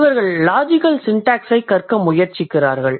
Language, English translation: Tamil, And then we have philosophers who try to study the logical syntax